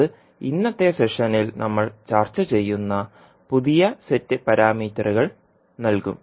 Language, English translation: Malayalam, That will give the new set of parameters which we will discuss in today’s session